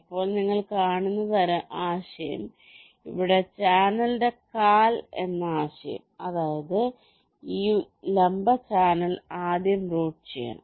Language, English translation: Malayalam, now the idea is that you see, here the concept is that the leg of the channel, that means this vertical channel, has to be routed first